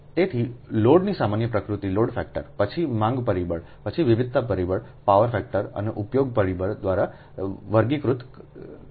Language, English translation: Gujarati, right next is that load characteristics, so general nature of load, is characterized by load factor, then demand factor, then diversity factor, power factor and utilization factor